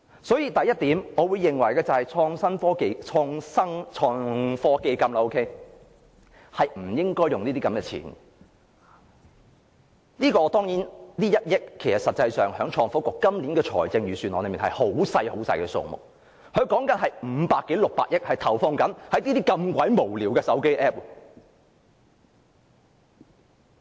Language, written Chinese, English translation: Cantonese, 所以，第一，我認為創科基金不應花這些錢，撥給創科局這1億元其實在今年的財政預算案是微不足道的數目，但局方正有500多億至600億元投放在這類如此無聊的手機 App 上。, Therefore first I think the FBL should not spend this money . In fact this sum of 100 million that is allocated to the Innovation and Technology Bureau is a negligible amount in this years Budget but just because the Innovation and Technology Bureau has 50 billion to 60 billion at hands it throws money on such a senseless smartphone app